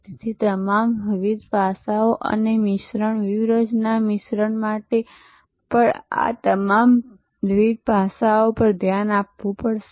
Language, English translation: Gujarati, So, all the different aspects and the mix, the strategy mix will have to also therefore, look at all these different aspects